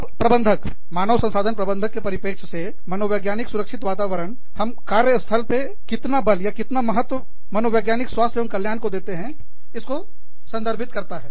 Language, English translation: Hindi, Now, from the perspective of managers, human resources managers, psychological safety climate, just refers to the weight, how much of importance, we give to psychological health and safety, in the workplace